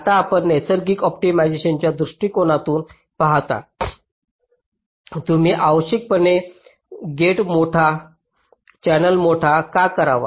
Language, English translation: Marathi, now, you see, from natural optimization point of view, why should we unnecessarily make a gate larger, the channel larger